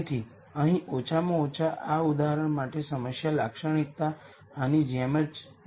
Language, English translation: Gujarati, So, here at least for this example the problem characterization goes like this